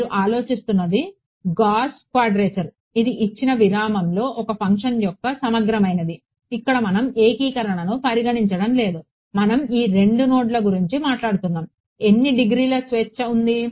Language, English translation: Telugu, What you are thinking of is Gauss quadrature which is the integral of a function over the given interval, here we are not considering a integration; we just talking about given these 2 nodes how many degrees of freedom are there